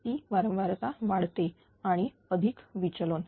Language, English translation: Marathi, That frequency is increasing deviation is plus